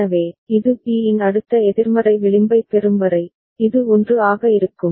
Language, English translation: Tamil, So, it will remain 1, till it gets next negative edge of B right, over here